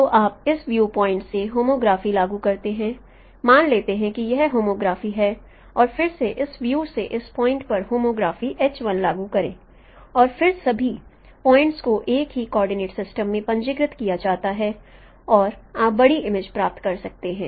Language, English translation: Hindi, Suppose this homograph is H1 and again apply homography from point from this view to this view and then all the points are registered on the same coordinate system and you can get the larger image